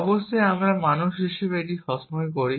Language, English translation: Bengali, Of course, we as human beings do it all the time